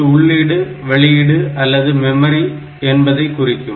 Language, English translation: Tamil, So, it is input output or memory